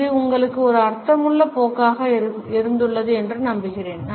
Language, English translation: Tamil, I hope that it has been a meaningful course to you